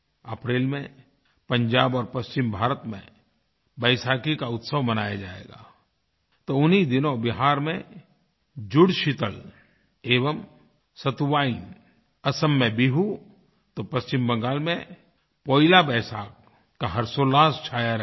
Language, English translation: Hindi, Vaisakhi will be celebrated in Punjab and in parts of western India in April; simultaneously, the twin festive connects of Jud Sheetal and Satuwain in Bihar, and Poila Vaisakh in West Bengal will envelop everyone with joy and delight